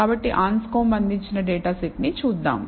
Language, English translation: Telugu, So, let us look at a data set provided by Anscombe